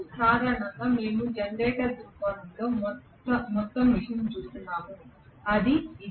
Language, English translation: Telugu, Basically we are looking at the whole thing in generator point of view that is what it is okay